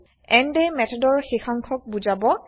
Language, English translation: Assamese, end marks the end of the method